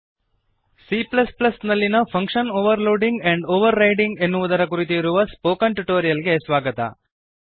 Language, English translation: Kannada, Welcome to the spoken tutorial on function Overloading and Overriding in C++